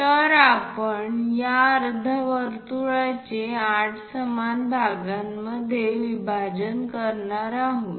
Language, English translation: Marathi, So, we are going to divide these semicircle into 8 equal parts